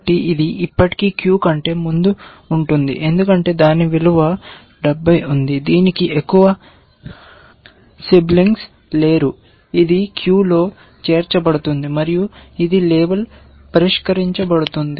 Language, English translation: Telugu, So, this would still be at the ahead of the queue because it has its value 70, it has no more siblings left so, this will get added to the queue and this will be get label solved